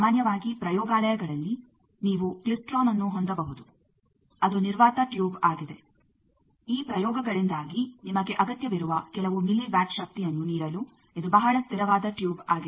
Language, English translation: Kannada, Generally in laboratories you can have a klystron which is a vacuum tube it is a very stable tube for giving you some milli watts of power that is required in due to this experiments